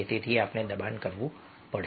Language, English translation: Gujarati, so we have to force